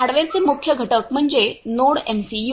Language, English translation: Marathi, The main components of the hardware are NodeMCU